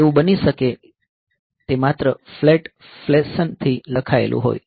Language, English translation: Gujarati, So, it may be that it is just written in a flat fashion